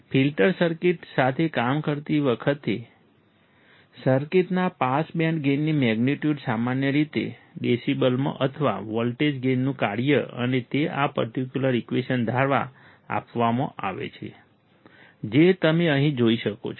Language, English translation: Gujarati, When dealing with the filter circuits, the magnitude of the pass band gain of circuit is generally expressed in decibels or function of voltage gain and it is given by this particular equation, which you can see here